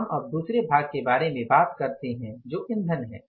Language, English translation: Hindi, We talk about the other part that is the fuel